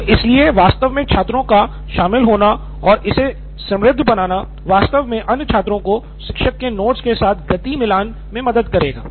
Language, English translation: Hindi, So actually students pitching in and making it richer, actually helps the other students also sort of get up to speed with the teacher’s notes